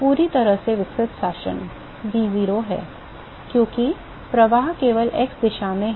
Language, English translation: Hindi, Fully developed regime; v is 0, because the flow is only in the x direction